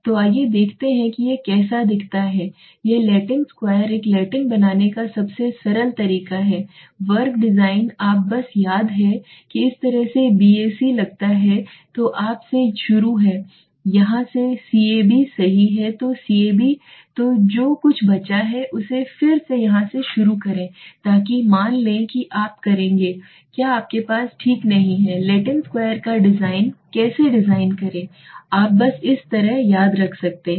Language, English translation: Hindi, So let us see the how it looks like this Latin square design the simplest way of making a Latin square design is you just have to remember is have this way suppose B A C then you start from here C A B right then C A B so what is left from you start again from here so suppose you would have you do not Okay, how to design a Latin square design you can just remember like this ABC